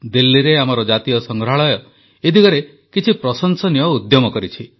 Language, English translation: Odia, In Delhi, our National museum has made some commendable efforts in this respect